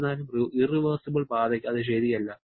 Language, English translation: Malayalam, However, that is not true for the irreversible path